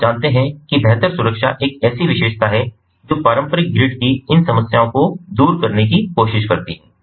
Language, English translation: Hindi, so you know, improved security is one such feature which ah tries to overcome these problems of the traditional grid